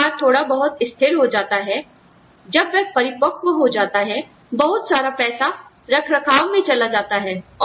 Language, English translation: Hindi, When the business stabilizes a little bit, when it becomes mature, a larger amount of money, will go into maintenance